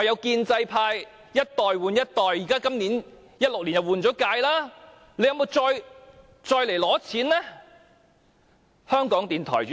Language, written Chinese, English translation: Cantonese, 建制派一代換一代 ，2016 年已換屆了，政府有沒有再來申請撥款呢？, In the pro - establishment camp there is a change of generations and a new term of this Council already started in 2016 . Has the Government come to us again to apply for funding?